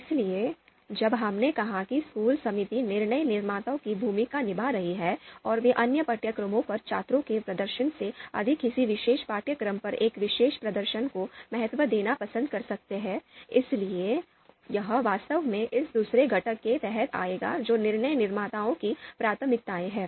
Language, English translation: Hindi, Then decision maker’s preferences, so when we said that school committee is playing the role of decision maker and they might prefer to value a particular performance on a particular course more than the performance of the students on other courses, so that would actually be come under this second component which is decision maker’s preferences